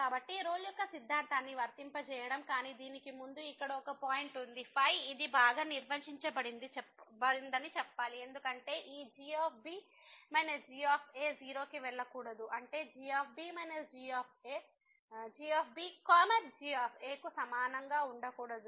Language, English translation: Telugu, So, applying the Rolle’s theorem, but before that there is a point here that we have to tell that this is well define because this minus should not go to 0; that means, should not be equal to